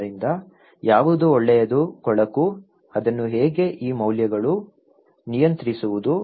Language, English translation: Kannada, So, what is good ugly, how to control that one these values okay